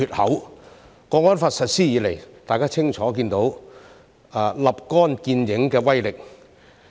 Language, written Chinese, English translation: Cantonese, 《香港國安法》實施以來，大家清楚看到立竿見影的威力。, Since the implementation of the Hong Kong National Security Law the immediate effect of the law has been clearly seen